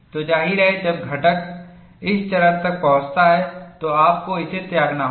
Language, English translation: Hindi, So, obviously, when the component reaches this stage, you have to discard it